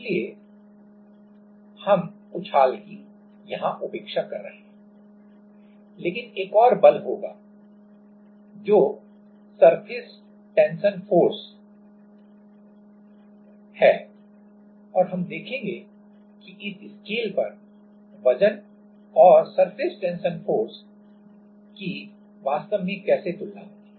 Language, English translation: Hindi, So, we are neglecting buoyancy, but there will be another force that is surface tension force and we will see that how the weight and surface tension force actually compares in this scale